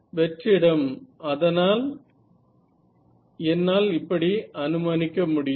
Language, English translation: Tamil, So, free space I can make that assumption